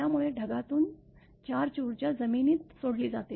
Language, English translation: Marathi, So, the charge energy from the cloud is released into the ground